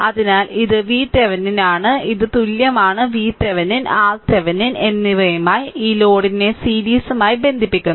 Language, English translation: Malayalam, So, this is my v Thevenin that equivalent one this is my v Thevenin and R Thevenin with that you connect this load in series with that